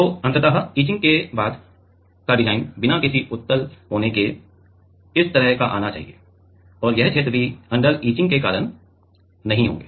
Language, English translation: Hindi, So, ultimately the design after etching should come like this without any convex corner and this regions will also not be there because of the under etching